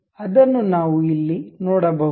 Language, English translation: Kannada, We can see here